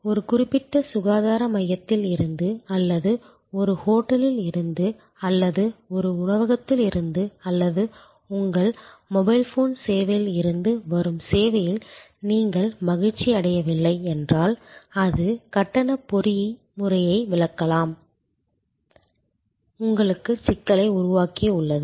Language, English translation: Tamil, If you are unhappy with the service from a particular health care center or from a hotel or from a restaurant or your mobile phone service has created a problem for you by not explaining it is tariff mechanism